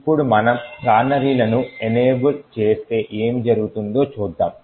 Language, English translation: Telugu, Now suppose we enable canaries let’s see what would happen